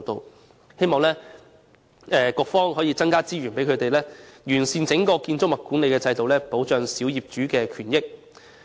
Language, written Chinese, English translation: Cantonese, 我希望局方能增加資源，以完善建築物管理的整體制度，保障小業主的權益。, I hope the Bureau can increase resources in order to perfect the overall building management system and protect the rights and interests of small property owners